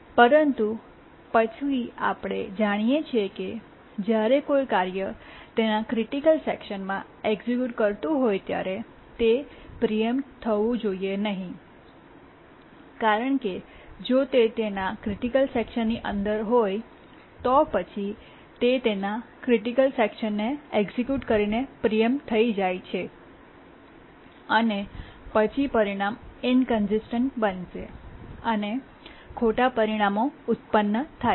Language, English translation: Gujarati, But then we know that when a task is executing its critical section, it should not be preempted because if it is inside its critical section, so executing its critical section and it gets preempted, then the result will become inconsistent, wrong results